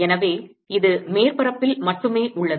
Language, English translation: Tamil, so this is only on the surface